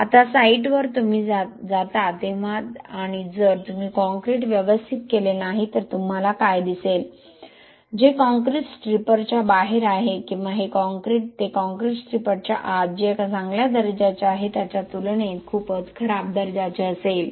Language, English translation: Marathi, Now in the site when you go and if you do not cure the concrete properly what you will see is, the concrete which is outside the stirrups or this this concrete that concrete will be of much poor quality compared to what is inside the stirrups which is good quality